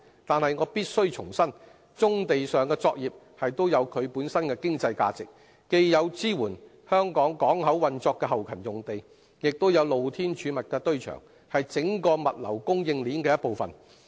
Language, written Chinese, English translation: Cantonese, 但是，我必須重申，棕地上的作業也有其本身的經濟價值，既有支援香港港口運作的後勤用地，亦有露天儲物的堆場，是整體物流供應鏈的一部分。, However I have to reiterate that brownfield operations have their own economic value and with sites used for many different purposes such as port back - up and open storage yards they also play a part in the entire logistics supply chain